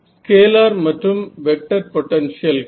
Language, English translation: Tamil, So, scalar and vector potentials